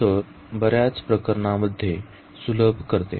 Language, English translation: Marathi, So, this also simplifies in several cases